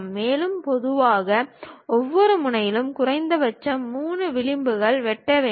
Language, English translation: Tamil, And, usually minimum of 3 edges must intersect at each vertex